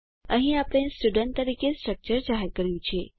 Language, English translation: Gujarati, Here we have declared a structure as student